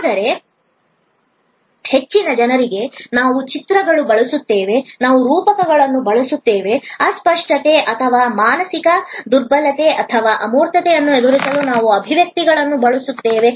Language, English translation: Kannada, But, for most people, we will use images, we will use metaphors, we will use expressions to counter the intangibility or mental impalpability or the abstractness